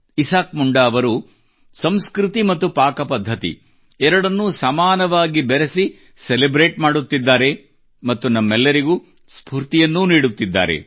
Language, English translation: Kannada, Isaak Munda ji is celebrating by blending culture and cuisine equally and inspiring us too